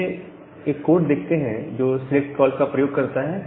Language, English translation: Hindi, So, let us look into a code which uses this select call